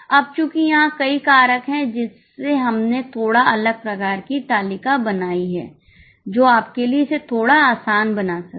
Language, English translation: Hindi, Now here since are many factors, we have made slightly a different type of table which might make it slightly easy for you